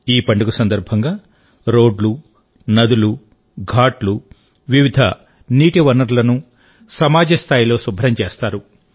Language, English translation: Telugu, On the arrival of this festival, roads, rivers, ghats, various sources of water, all are cleaned at the community level